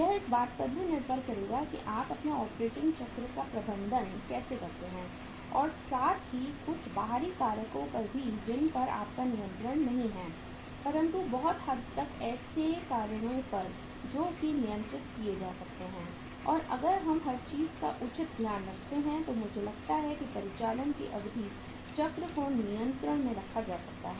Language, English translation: Hindi, So that will depend upon that how you manage your operating cycle and uh that depends upon some external factors also which are uncontrollable but to a larger extent the factors remain controllable and if we take a proper care of everything then I think the duration of the operating cycle can be kept under control